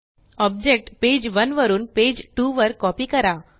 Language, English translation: Marathi, Copy an object from page one to page two